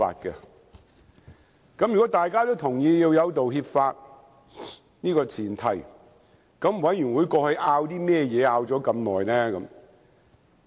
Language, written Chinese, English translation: Cantonese, 在大家也同意有道歉法這前提下，法案委員會還花這麼長時間爭議甚麼呢？, Given that the apology legislation is agreeable to all of us what else the Bills Committee had argued about for such a long time?